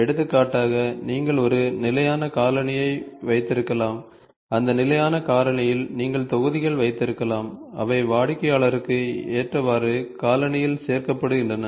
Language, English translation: Tamil, For example, you can have a standard shoe and in that standard shoe you can have modules, which are added to the shoe such that it can suit to the customer